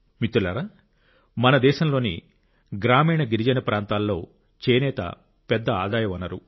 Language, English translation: Telugu, Friends, in the rural and tribal regions of our country, handloom is a major source of income